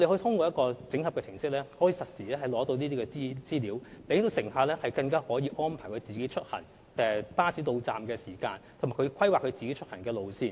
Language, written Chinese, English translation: Cantonese, 通過這個整合程式，乘客可取得實時資料，以作出行的安排，包括根據巴士的到站時間規劃出行路線。, Passengers may obtain real - time information through this application programme and plan for their travel arrangements including picking the most appropriate routes according to the bus arrival time